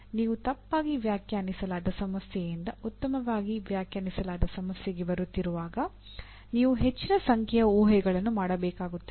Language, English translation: Kannada, When you are coming from a ill defined problem to well defined problem you have to make a large number of assumptions